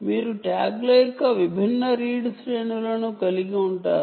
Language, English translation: Telugu, right, you can have different read ranges of the tags